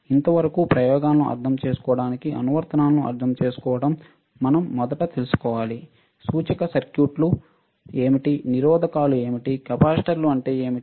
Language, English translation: Telugu, So, for understanding the applications for understanding the experiments, we should first know what are the indicator circuits, what are the resistors, what are capacitors, right